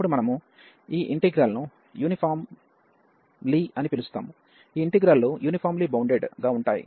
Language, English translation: Telugu, Then we call that this integral is uniformly, these integrals are uniformly bounded